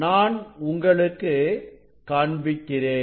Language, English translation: Tamil, I think we can show you it is the